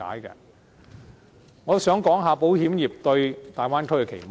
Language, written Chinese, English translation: Cantonese, 我也想談談保險業界對大灣區的期望。, I also wish to talk about what the insurance sector expects of the Bay Area